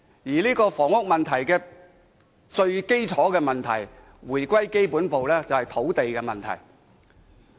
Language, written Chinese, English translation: Cantonese, 而回歸基本步，房屋問題最根本便是土地問題。, Going back to the basics the root of the housing problem is the land problem